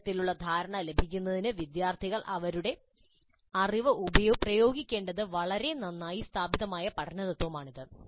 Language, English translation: Malayalam, So this is a well established principle of learning that the students must apply their knowledge in order to really get a deep understanding